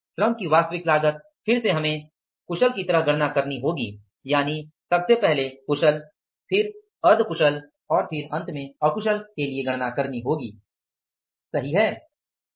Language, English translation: Hindi, The actual cost of the labor is again we have to calculate like skilled first of all skilled then we have to calculate the semi skilled and then we have to calculate the unskilled